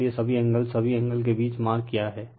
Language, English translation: Hindi, So, all angle all angle say between mark right